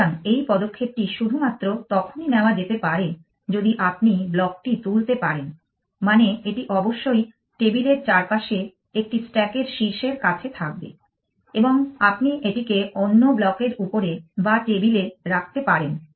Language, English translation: Bengali, So, this move can only be done if you can pick up of block, which means it must near the top of a stack all around the table and you can put it down either on the top of another block or on the table